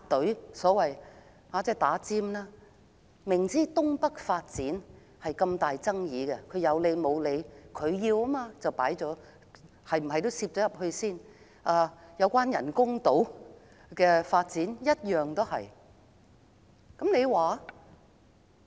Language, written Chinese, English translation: Cantonese, 政府明知道新界東北發展極具爭議，卻不由分說插隊，因為政府堅持進行這個項目，人工島的發展亦如是。, For example the Government insisted on taking forward the North East New Territories Development project despite its controversy and jumped the queue without sound justifications . The same tactics also applied to the development of artificial islands